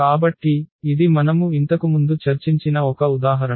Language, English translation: Telugu, So, this was the one example which we have already discussed before